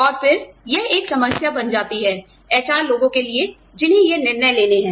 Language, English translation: Hindi, And again, this poses a problem, for the HR people, who have to take these decisions